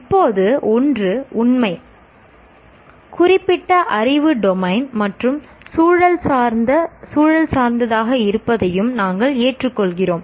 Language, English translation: Tamil, Now, one thing is true we'll also accept knowledge is domain specific and is contextualized